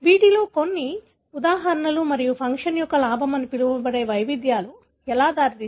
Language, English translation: Telugu, So, let us look into some of these, examples and how variations there can lead to so called gain of function